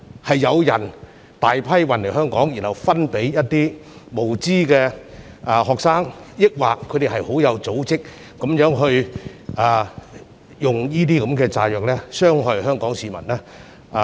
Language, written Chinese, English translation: Cantonese, 是有人大批運來香港後分派給無知的學生，抑或有組織地運用這些炸藥來傷害香港市民？, Were they transported in bulk to Hong Kong and then distributed to the ignorant students or were the explosives intended to be used in an organized manner to harm the people of Hong Kong?